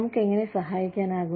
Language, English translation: Malayalam, How can we help